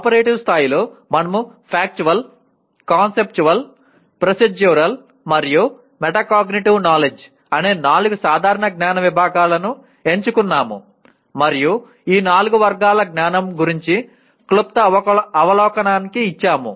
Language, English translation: Telugu, At operative level, we have selected four general categories of knowledge namely Factual, Conceptual, Procedural, and Metacognitive knowledge and we gave a brief overview of these four categories of knowledge